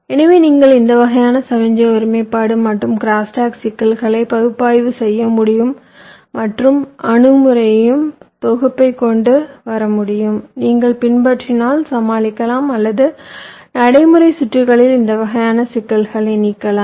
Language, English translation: Tamil, so you should be able to, as a should be able to model, analyze this kind of signal integrity and crosstalk issues and come up with a set of approaches which, if you follow, would expected to ah, to overcome or miss, eliminate this kind of problems in practical circuits